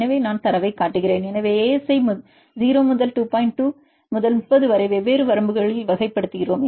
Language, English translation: Tamil, So, we classify the ASA in different ranges 0 to 2, 2 to 30 and so on